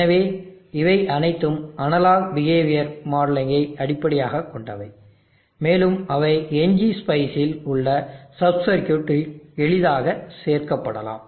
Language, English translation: Tamil, So these are all based on analog behavioural modelling and they can be easily included at sub circuits in NG spice